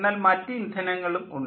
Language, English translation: Malayalam, they can have different kind of fuel